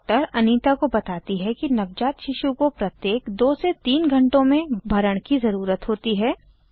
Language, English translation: Hindi, The doctor tells Anita that a newborn baby needs to be fed every 2 to 3 hours